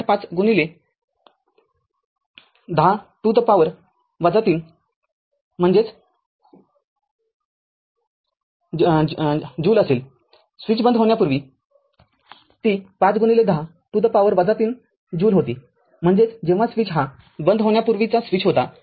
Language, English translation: Marathi, 5 into 10 to the power minus 3 joule; that means, before switch closed it was 5 into 10 to the power minus 3 joule, that is when switch was before closing the switch